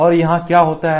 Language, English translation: Hindi, So, this is what it is